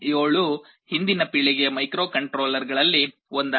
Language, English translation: Kannada, ARM7 was one of the previous generation microcontrollers